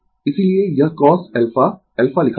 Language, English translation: Hindi, That is why it is written cos alpha